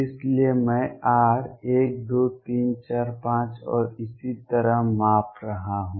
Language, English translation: Hindi, So, I am measuring r one 2 3 4 5 and so on